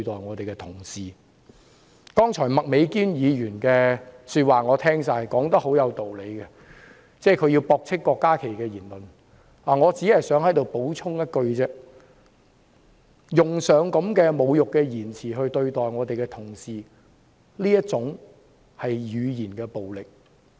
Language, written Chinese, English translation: Cantonese, 我聽到麥美娟議員剛才的發言，她說得很有道理，她駁斥了郭家麒議員的言論，我在此只想補充一句，對同事使用這些侮辱言詞，正正是語言暴力。, She has spoken most reasonably refuting Dr KWOK Ka - kis remarks . Here I only wish to add a point . The use of such insulting language about Honourable colleagues exactly amounts to verbal violence